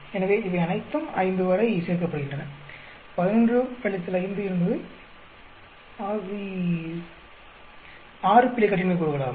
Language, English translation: Tamil, So, they all add up to 5; 11 minus 5 is 6 error degrees of freedom